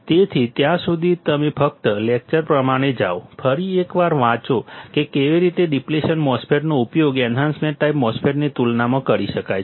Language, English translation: Gujarati, So, till then, you just go through the lecture, read it once again how the depletion MOSFET can be used compared to enhancement type MOSFET